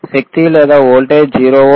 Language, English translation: Telugu, here tThe power is or voltage is 0 volts or 0